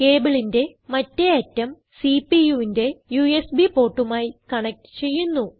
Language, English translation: Malayalam, Now lets connect the other end of the cable, to the CPUs USB port